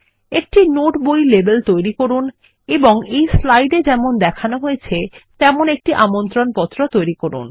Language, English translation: Bengali, Create a note book label and an invitation as shown in this slide